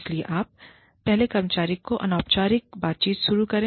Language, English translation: Hindi, So, you first start with an informal conversation, with the employee